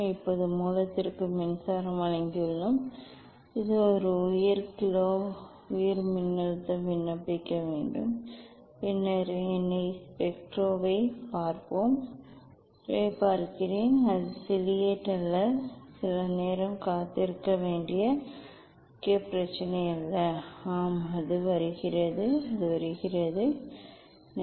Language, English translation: Tamil, Now, we have given power to the source it is the high kilo high voltage one has to apply and then let me see the spectra, let me see the spectra it is not ciliate, it is not prominent problem we have to wait for some time yes it is coming; it is coming, it is coming